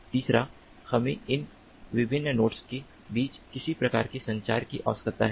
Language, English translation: Hindi, third is we need some kind of communication to take place between these different nodes